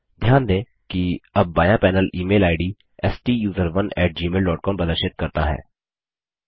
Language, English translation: Hindi, Note, that the left panel now displays the Email ID STUSERONE at gmail dot com